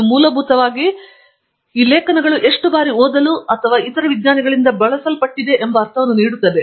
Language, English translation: Kannada, It basically gives you a sense of how often these articles are being read and being used by other scientists